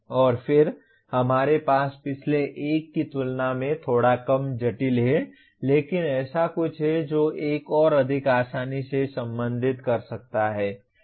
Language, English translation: Hindi, And then we have a slightly less complicated than the previous one but something that one can relate more easily